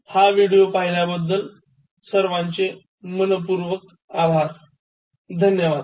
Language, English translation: Marathi, Thank you so much for watching this video